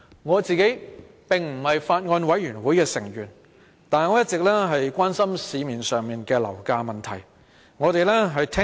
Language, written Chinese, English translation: Cantonese, 我並非法案委員會成員，但一直關心樓價問題。, Though I am not a member of the Bills Committee I have all along been concerned about the problem of property prices